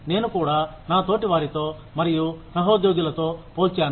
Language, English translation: Telugu, I also compare myself, with my peers and co workers